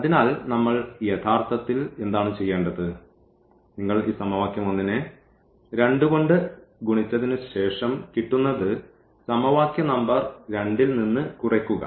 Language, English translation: Malayalam, So, what we are supposed to do actually that if you multiply this equation 1 by 2 and then subtract this equation from this equation number 2